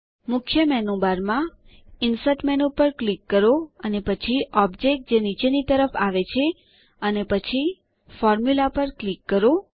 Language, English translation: Gujarati, Let us click on the Insert menu on the main menu bar, and then Object which is toward the bottom and then click on Formula